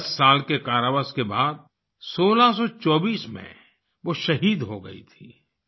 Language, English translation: Hindi, In 1624 after ten years of imprisonment she was martyred